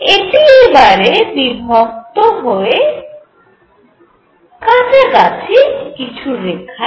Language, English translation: Bengali, This is going to split into nearby lines